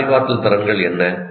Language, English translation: Tamil, What are these cognitive skills